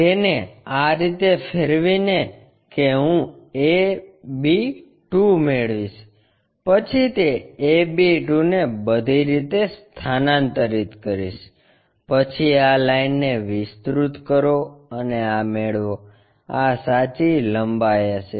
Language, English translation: Gujarati, By rotating it so, that I will get a b 2 then transfer that a b 2 all the way up, then extend this line get this one, this will be the true length